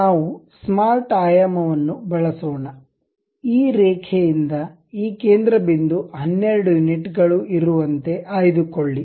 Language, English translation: Kannada, Let us use smart dimension, pick this center point to this line also 12 units